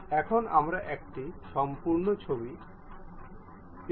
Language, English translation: Bengali, Now, we have a complete close picture